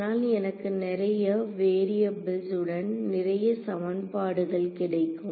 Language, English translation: Tamil, How will I get enough equations and enough variables